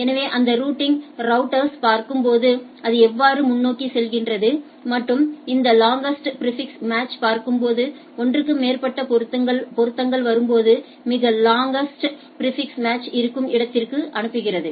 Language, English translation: Tamil, So, looking at that routing routers how it forwards and what we look at this long longest prefix match when there are more than one matching coming up that where the longest prefix match is there